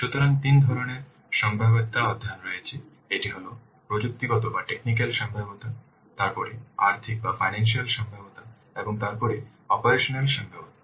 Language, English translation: Bengali, So, one is this technical feasibility, then financial feasibility and operational feasibility